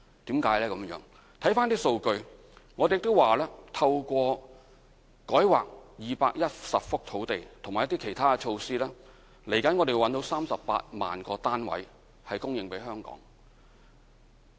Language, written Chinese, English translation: Cantonese, 看看一些數據：我們透過改劃210幅土地和其他措施，未來可以找到供應38萬個單位的土地給香港。, Let us look at some figures through rezoning 210 sites and other measures we have made available sites which will be capable of providing 380 000 housing units in Hong Kong